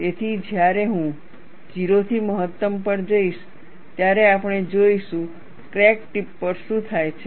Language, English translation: Gujarati, So, when I go to 0 to maximum, we would see what happens at the crack tip